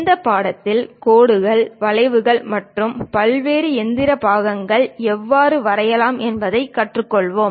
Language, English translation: Tamil, In this subject we are going to learn about how to draw lines, curves, various mechanical parts